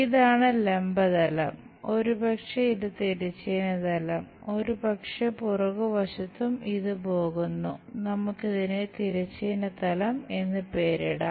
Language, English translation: Malayalam, This is the vertical plane and perhaps this is the horizontal plane, maybe at back side also it goes, let us name it horizontal plane